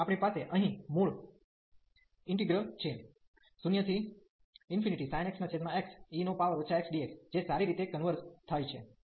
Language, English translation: Gujarati, So, we have the original integral here 0 to infinity sin x over x that converges well